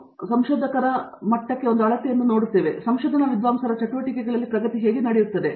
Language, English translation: Kannada, And of course, generally we tend to look at publications as one measure of, how progress is happening in the a research scholars' activities